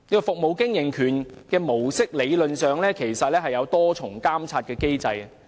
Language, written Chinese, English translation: Cantonese, "服務經營權"模式理論上設有多重監察機制。, In theory the concession approach comes with a multi - level monitoring mechanism